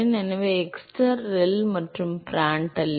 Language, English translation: Tamil, So, xstar ReL and Prandtl number